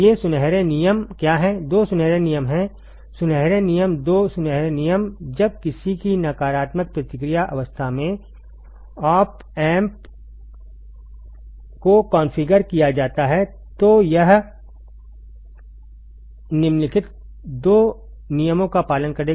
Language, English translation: Hindi, What are these golden rules there are two golden rules ok, golden rules two golden rules when op amp is configured in any negative feedback arrangement it will obey the following two rules